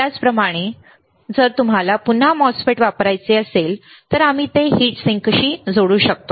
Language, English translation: Marathi, Similarly, but if you want to use the MOSFET again, we can connect it to heat sink